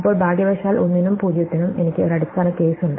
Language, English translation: Malayalam, Now, fortunately for 1 and for 0, I have a base case